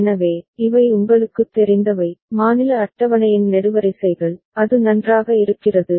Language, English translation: Tamil, So, these are the different you know, columns of the state table is, it fine